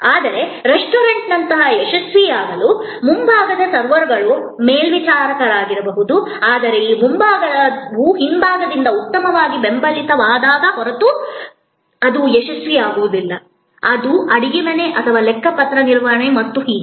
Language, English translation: Kannada, But, to be successful like in a restaurant, the front may be the servers, the stewards, but that front will not be successful unless it is well supported by the back, which is the kitchen or the accounting and so on